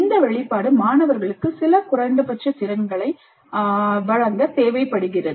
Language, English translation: Tamil, As I mentioned, this exposure is required to provide certain minimal competencies to the students